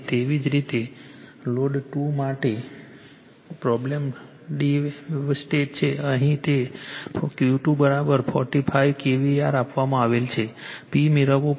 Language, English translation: Gujarati, Similarly, for Load 2 problem is twisted right , here it is q 2 is equal to 45 kVAr is given you have to obtain P